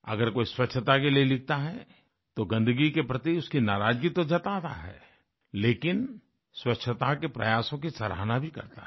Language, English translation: Hindi, If someone refers to sanitation and cleanliness, he or she invariably voices angst against filth & dirt, but on the same page appreciates efforts being under way to ensure cleanliness